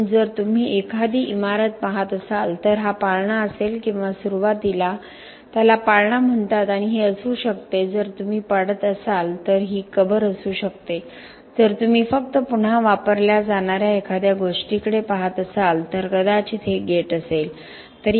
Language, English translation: Marathi, So, if you are looking at a building this would be the cradle or the beginning often called the cradle and this could be if you are demolishing then this could be the grave if you are just looking at something that is going to be reused maybe this is the gate